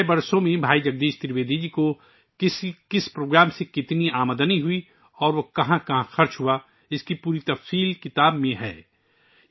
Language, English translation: Urdu, The complete account of how much income Bhai Jagdish Trivedi ji received from particular programs in the last 6 years and where it was spent is given in the book